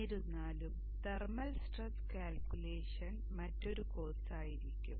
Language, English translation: Malayalam, However the thermal stress calculation will be another course in itself